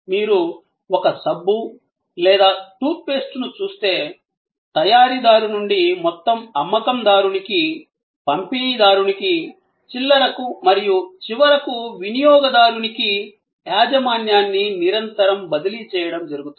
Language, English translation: Telugu, If you look at a soap or a tooth paste, there is a continuous transfer of ownership from the manufacturer to the whole seller to the distributor to the retailer and finally, to the consumer